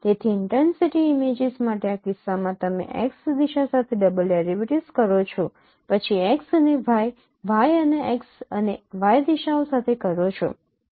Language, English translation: Gujarati, So in this case if for an intensity images you perform double derivative along x direction then along x and y, y and x and x and y directions